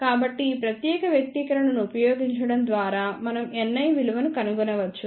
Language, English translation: Telugu, So, by using this particular expression we can find the value of N i